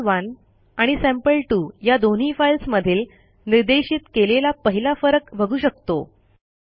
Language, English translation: Marathi, As we can see the first difference between the two files sample1 and sample2 is pointed out